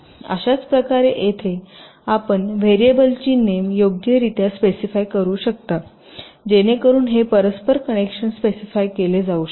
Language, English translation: Marathi, so in this same way, here you can specify the variable names appropriately so that this interconnection can be specified